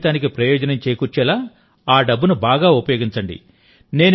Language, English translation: Telugu, Use that money well so that your life benefits